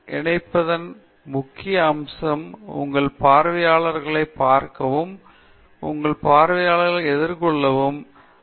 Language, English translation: Tamil, Important aspect of connecting with your audience is to look at your audience, face your audience, not face away from the audience